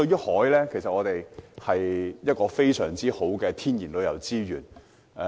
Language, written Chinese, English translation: Cantonese, 海是我們極佳的天然旅遊資源。, The sea is our excellent natural tourism resource